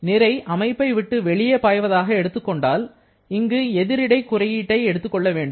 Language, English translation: Tamil, If we are talking about mass flowing out of the system, then there will be negative sign coming in